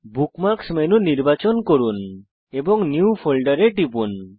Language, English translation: Bengali, * Select Bookmarks menu and click on New Folder